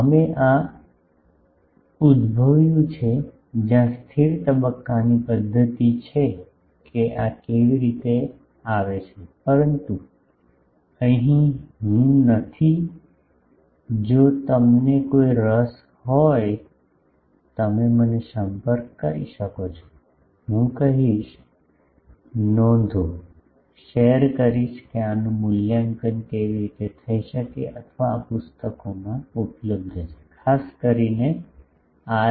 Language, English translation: Gujarati, We derive this where stationary phase method that how this comes, but here I am not if any of you are interested, you can contact me, I will tell, share the notes that how can this be evaluated or these are available in books particularly R